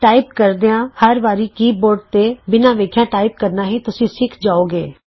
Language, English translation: Punjabi, You will also learn to type, Without having to look down at the keyboard every time you type